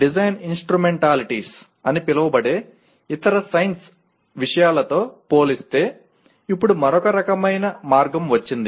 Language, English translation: Telugu, Now comes yet another kind of somewhat way compared to other science subjects called Design Instrumentalities